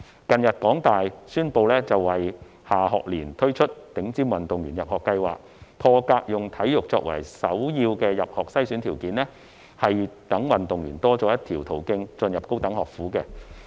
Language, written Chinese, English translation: Cantonese, 近日，香港大學宣布會在下學年推出頂尖運動員入學計劃，破格以體育作為首要的入學篩選條件，讓運動員多了一個入讀高等學府的途徑。, Recently the University of Hong Kong announced that it will launch the Top Athletes Direct Admission Scheme in the coming academic year . Exceptionally the scheme will take sports as the principal screening criterion for admission thus providing an additional channel for athletes to study at institutes of higher education